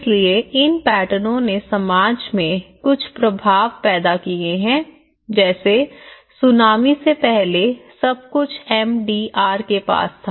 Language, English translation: Hindi, So, these patterns have what kind of created some impacts in the society like for instance first thing is before the tsunami everything was near MDR